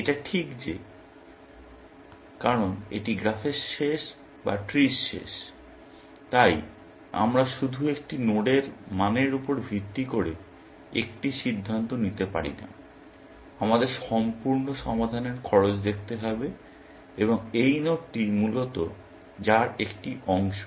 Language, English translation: Bengali, It is just that, because this is an end of graph or end of tree; we cannot make a decision, based simply on value of a node; we have to look at the cost of the full solution of which, this node is a part, essentially